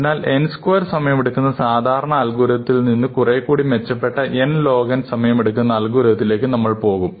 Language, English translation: Malayalam, So, we can go from a naive algorithm which takes time n square to a better algorithm, which takes time n log n